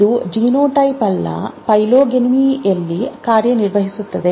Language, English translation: Kannada, It acts on the phenotype, not the genotype